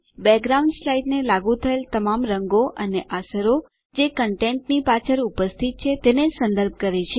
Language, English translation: Gujarati, Background refers to all the colors and effects applied to the slide, which are present behind the content